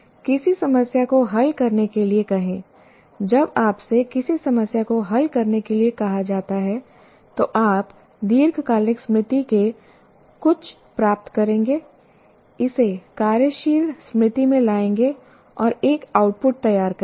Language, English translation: Hindi, When you are asked to solve a problem, you will retrieve something from the long term memory, bring it to the working memory, and produce an output